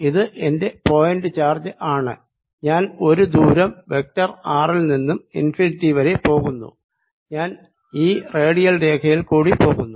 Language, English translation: Malayalam, so now let me make a picture this is my point charge and i am going from a distance vector r all the way upto infinity and i'll go along this radial line